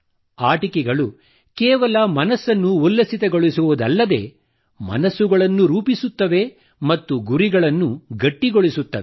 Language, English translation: Kannada, Toys, not only entertain, they also build the mind and foster an intent too